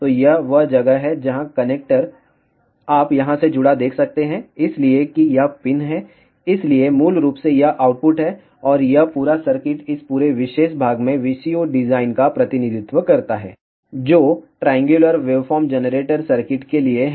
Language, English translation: Hindi, So, this is where the connector you can see connected over here; so that is the centre pin, so basically this is the output, and this entire circuit represents the VCO design at this entire particular portion is for the triangular waveform generator circuit